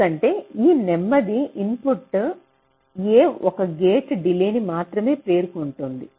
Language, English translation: Telugu, because this slowest input a is encountering only one gate delay